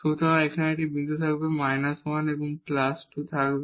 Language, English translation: Bengali, So, there will be a point here and there will be minus 1 and plus 2